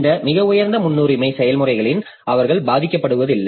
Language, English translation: Tamil, So, that this highest priority processes they do not suffer